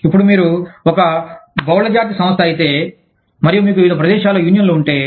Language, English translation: Telugu, Now, if you are a multinational company, and you have unions, in different places